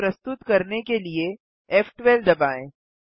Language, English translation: Hindi, Press f12 to render the scene